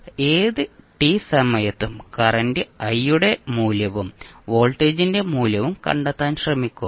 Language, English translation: Malayalam, So, now let us try to find out the value of current i at any time t and value of voltage at any time t